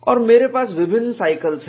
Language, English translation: Hindi, And I have different cycles